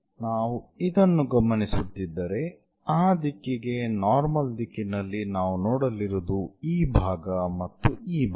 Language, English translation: Kannada, So, normal to that direction if we are observing this, what we are going to see is this part and this part